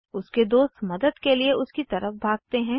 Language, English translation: Hindi, His friends runs to his side to help